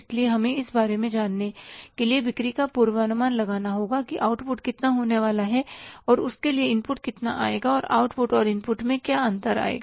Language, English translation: Hindi, So, we will have to forecast the sales to know about that how much is going to be the output, for that how much is going to be the input and what is going to be the difference between the output and the input